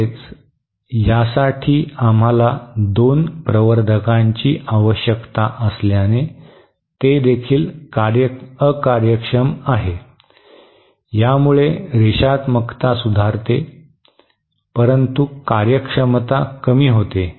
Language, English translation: Marathi, Also, since we need to amplifiers for this one, it is also inefficient, it improves the linearity, but it reduces the efficiency